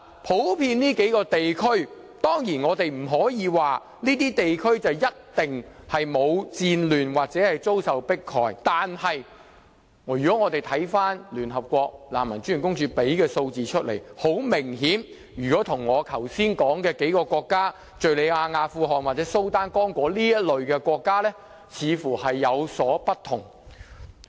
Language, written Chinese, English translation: Cantonese, 普遍就這數個地區來說，當然，我們不可說這些地區一定沒有戰亂或遭受迫害。但是，如果我們看看聯合國難民專員公署提供的數字，很明顯，跟我剛才說的數個國家，即敘利亞、阿富汗、蘇丹或剛果等這類國家，情況似乎有所不同。, Regarding these regions we of course cannot generally assert that these places must be free of war or persecution but as shown by figures from United Nations High Commission for Refugees the situation in these regions are obviously different from those countries mentioned by me just now such as Syria Afghanistan Sudan or Congo